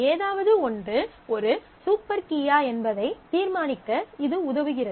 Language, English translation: Tamil, It helps you determine whether something is a super key